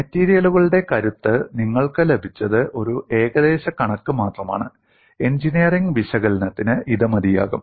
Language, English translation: Malayalam, What you have got in strength of materials was only in approximation good enough, for engineering analysis